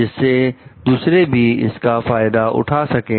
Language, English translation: Hindi, So, that like others can get benefit of it